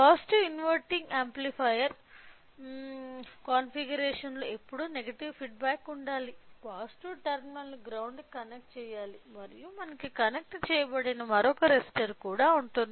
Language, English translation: Telugu, So, in case of inverting amplifier configuration since it is an amplifier we should always have to have a negative feedback and the positive terminal should be connected with the ground and we will also have another resistor which is connected